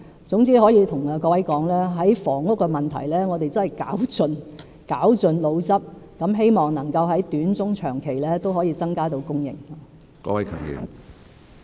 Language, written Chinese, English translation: Cantonese, 總之，我可以告訴各位，在房屋的問題上，我們真的是絞盡腦汁，希望能夠在短、中、長期均可以增加供應。, All in all I can tell Members that as regards the housing issue we have really racked our brains to hopefully increase supply in the short medium and long terms